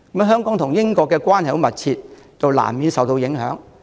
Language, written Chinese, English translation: Cantonese, 香港和英國關係十分密切，難免因此受到影響。, Given our close relationship with Britain Hong Kong will inevitably be affected by that